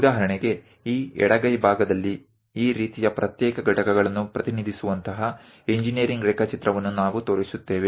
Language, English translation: Kannada, For example, on this left hand side we are showing such kind of engineering drawing where all these individual components are represented